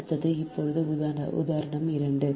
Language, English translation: Tamil, next is example two